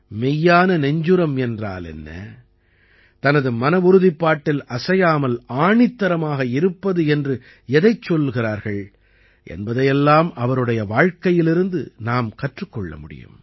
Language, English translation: Tamil, We can learn from his life what true courage is and what it means to stand firm on one's resolve